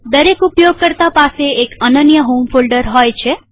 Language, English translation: Gujarati, Every user has a unique home folder in Ubuntu